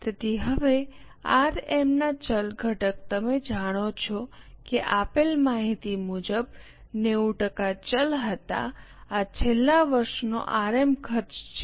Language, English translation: Gujarati, So, now variable component of RM, you know that as per the given information 90% was variable